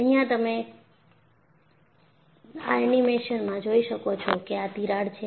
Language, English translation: Gujarati, And, you could see here in this animation, this is the crack